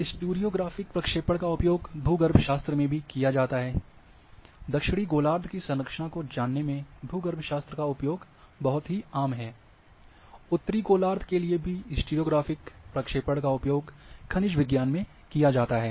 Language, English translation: Hindi, And then your stereo graphic projections are also used in geology, very common in structure geology for southern hemisphere,also stereo graphic projections for northern hemisphere are used in mineralogy